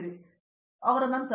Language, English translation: Kannada, Yeah, after him